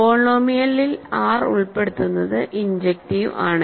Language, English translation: Malayalam, The inclusion of R in the polynomial is injective